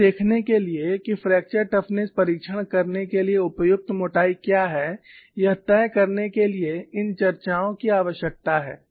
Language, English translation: Hindi, See, these discussions are needed even to decide, what is the appropriate thickness to conduct fracture toughness testing